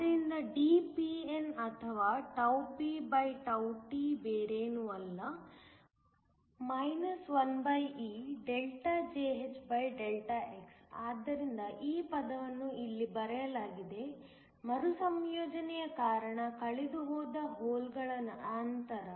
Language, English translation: Kannada, So, dPn or pt is nothing but, 1e(Jhδx), so it is just this term that is the written here, minus the holes that are lost due to recombination